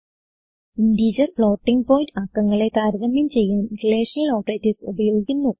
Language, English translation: Malayalam, Relational operators are used to compare integer and floating point numbers